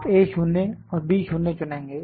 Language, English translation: Hindi, You will select A 0 and B 0, A 0 and B 0